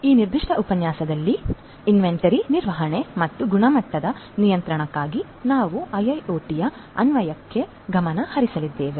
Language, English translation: Kannada, In this particular lecture, we are going to focus on the Application of IIoT for inventory management and quality control